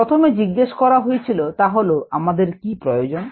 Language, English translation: Bengali, the first question to ask is: what is needed